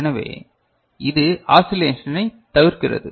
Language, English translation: Tamil, So, this avoids oscillation